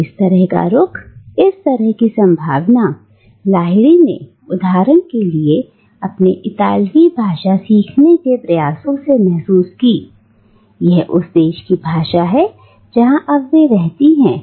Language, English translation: Hindi, And such a stance, such a possibility is realised by Lahiri in her attempt for instance to learn Italian, the language of the country that she now resides in